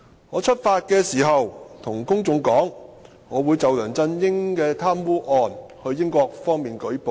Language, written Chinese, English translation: Cantonese, 我出發時告訴公眾，我會就梁振英的貪污案到英國，方便舉報。, When I set off I told the public that I was going to the United Kingdom to report C Y LEUNGs UGL incident as a matter of convenience